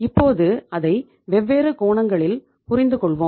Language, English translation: Tamil, Now let us understand it from different perspectives